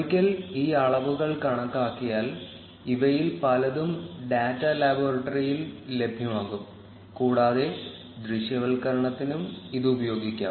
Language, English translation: Malayalam, Once these measures are calculated, many of these will be available in the data laboratory and can also be used for the visualization